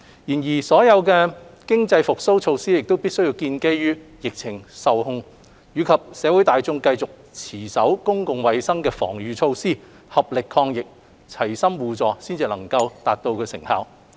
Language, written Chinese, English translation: Cantonese, 然而，所有經濟復蘇措施必須建基於疫情受控，以及社會大眾繼續持守公共衞生防禦措施，合力抗疫，齊心互助，方能收效。, However all economic recovery measures can only be effective on the basis that the pandemic situation is under control and that the general community continues to abide by the public health protective measures fights the pandemic together and is supportive of each other